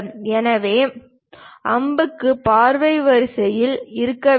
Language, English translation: Tamil, So, arrows should be in the line of sight